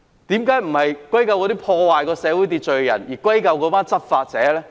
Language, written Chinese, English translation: Cantonese, 為何不是歸咎破壞社會秩序的人，而是歸咎執法者？, Why not blame those who disrupt social order but lay the blame on the people who enforce the law?